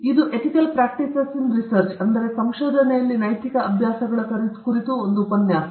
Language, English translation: Kannada, This is a lecture on Ethical Practices in Research